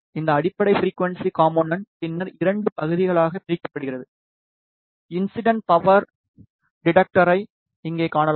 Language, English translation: Tamil, This fundamental frequency component is then divided into 2 parts, we can see incident power detector over here